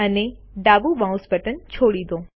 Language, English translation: Gujarati, And release the left mouse button